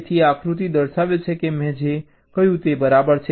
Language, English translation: Gujarati, so this diagram shows that, exactly what i told in the first case